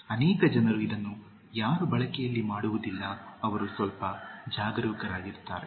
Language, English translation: Kannada, Many people don’t commit this in usage, they are bit careful